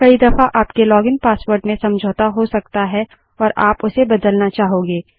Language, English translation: Hindi, Sometimes your login password may get compromised and/or you may want to change it